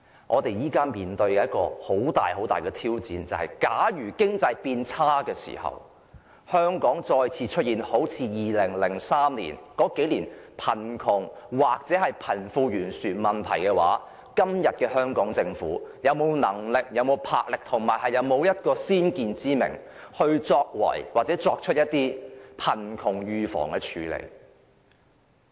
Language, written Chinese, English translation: Cantonese, 我們現時面對很大的挑戰，假如經濟變差，香港再次出現2003年及其後數年的貧窮或貧富懸殊問題，香港政府會否有能力、魄力及先見之明，預防及處理貧窮問題？, We are now facing a great challenge . If the economy deteriorates and we have to once again face problems of poverty and wealth disparity that emerged in 2003 and in the few years thereafter will the Hong Kong Government have the capacity resolution and foresight to prevent and deal with the poverty problems?